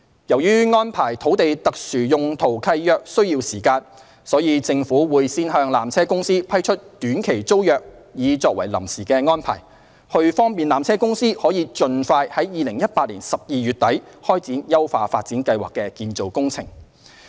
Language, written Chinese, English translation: Cantonese, 由於安排土地特殊用途契約需時，所以，政府會先向纜車公司批出短期租約作為臨時安排，以便纜車公司可盡快於2018年12月底開展優化發展計劃的建造工程。, As it takes time to prepare SPL a Short - Term Tenancy STT will be granted to PTC as an interim arrangement to enable PTC to embark upon the construction works of the upgrading plan as soon as possible by the end of December 2018